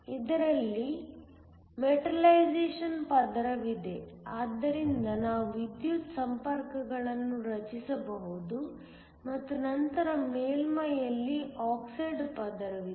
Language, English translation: Kannada, There is a metallization layer, so we can form electrical contacts and then there is an oxide layer on the surface